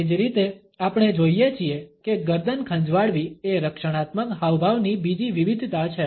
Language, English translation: Gujarati, Similarly, we find that the neck is scratch is another variation of this defensive gestures